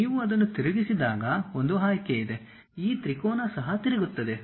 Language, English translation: Kannada, There is an option to rotate when you rotate it this triad also rotates